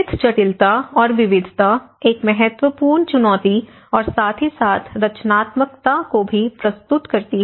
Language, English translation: Hindi, The rich complexity and diversity presents a significant challenge as well as foster creativity